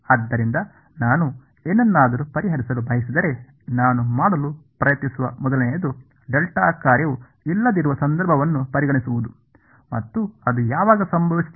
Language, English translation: Kannada, So, if I want to solve something what the first thing I could try to do is to consider the case where the delta function is not present and that happens when